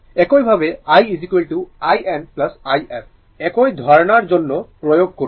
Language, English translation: Bengali, Similarly, we apply for i is equal to i n plus i f, same concept